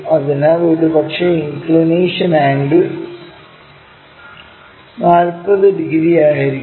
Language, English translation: Malayalam, So, perhaps the inclination angle 40 degrees